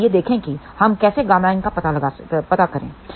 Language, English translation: Hindi, So, let us see if this is a 1